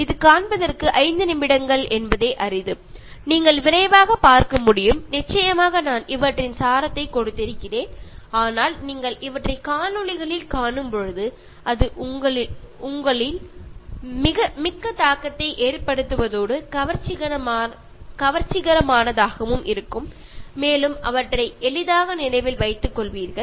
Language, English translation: Tamil, It is hardly about five minutes, you can take a quick look, of course I have given the essence of these ones, but when you watch them on videos it is more impactful and more attractive and you will keep remembering them easily